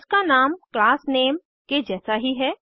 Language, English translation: Hindi, It has the same name as the class name